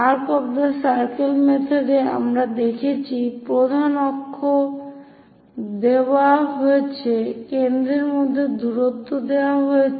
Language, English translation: Bengali, In arc of circle method, we have seen major axis is given, the distance between foci is given